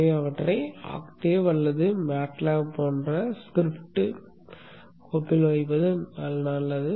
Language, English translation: Tamil, So it is good to put them in a script file like something like Octave or Matlap